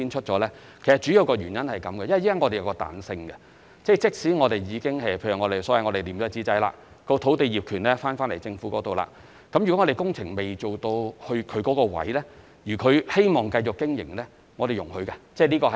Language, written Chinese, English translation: Cantonese, 主要原因，是因為我們現時提供彈性，便是即使我們已經所謂"貼紙仔"，即政府已收回土地業權，但如果涉及經營者的位置的工程尚未開展，而他亦希望繼續經營，我們是容許的。, The main reason is that we have offered some flexibility at present in the sense that even though we have posted notices indicating that the Government has already resumed land ownership we will still allow operators to continue their business at the moment if they so wish as long as the works at their locations have not yet commenced